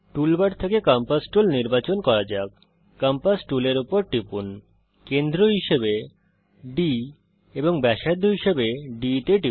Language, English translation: Bengali, Lets select the compass tool from tool bar , click on the compass tool,click on the point D as centre and DE as radius